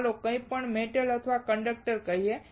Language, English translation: Gujarati, Let us say any metal or conductor